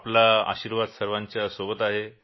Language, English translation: Marathi, Your blessings are with everyone